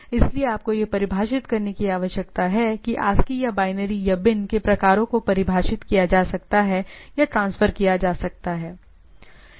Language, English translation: Hindi, So, you need to define I can define that the type of things whether it is ASCII or binary or bin can be defined and can be transferred